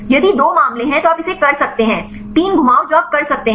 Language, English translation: Hindi, If there are two cases you can do it, 3 rotations you can do